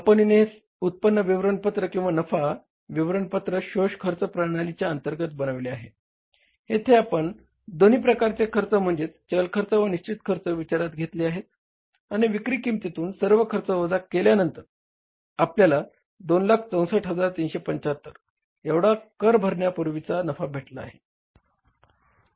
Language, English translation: Marathi, Same way this income statement or the profit statement of this company has been prepared under the absorption costing system where we have taken into consideration both the cost, variable cost and the fixed cost and after subtracting all kind of the cost from the sales value we have arrived at the net profit before taxes 2